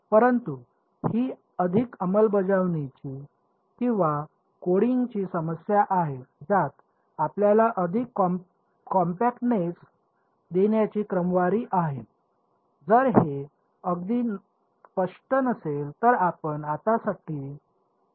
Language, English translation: Marathi, But this is more a implementation or coding issue to sort of give you more compactness in that if it is not very clear you can leave it for now ok